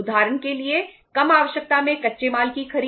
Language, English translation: Hindi, For example purchase of raw material in short requirement